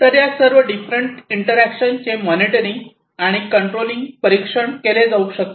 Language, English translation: Marathi, So, all these different interactions can be monitored, controlled, and so on